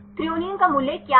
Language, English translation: Hindi, What is the value for threonine